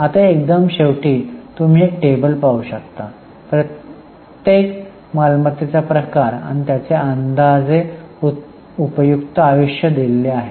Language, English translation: Marathi, Now, in the end if you look there is a table which is showing the type of the asset and estimated useful life